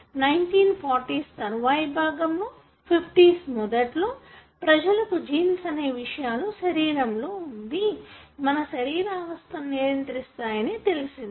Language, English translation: Telugu, It was late until 1940’s or early 50’s, people really understood that genes are the elements in your body that regulates most of the physiological conditions